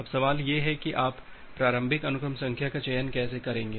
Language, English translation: Hindi, Now the question is that how will you choose the initial sequence number